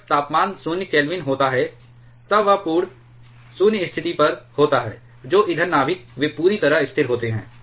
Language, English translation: Hindi, At when temperature is 0 Kelvin, then that is that is at the absolute 0 condition the fuel nucleus they are perfectly stationary